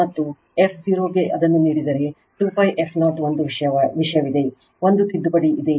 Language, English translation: Kannada, And you if your f 0 is given this one right 2 pi f 0 one thing is there, one correction is there